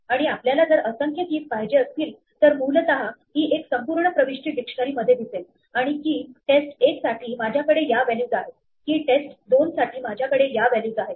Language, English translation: Marathi, And if we have multiple keys then essentially this is one whole entry in this dictionary, and for the key test 1, I have these values; for the key test 2, I have these values